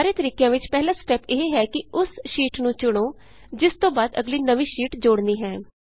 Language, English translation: Punjabi, The first step for all of the methods is to select the sheet next to which the new sheet will be inserted